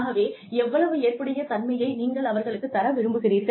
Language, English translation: Tamil, So, how much of flexibility, do you want to give them